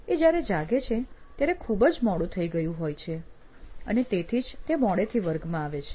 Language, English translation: Gujarati, So it’s very late that he wakes up and hence actually comes to class late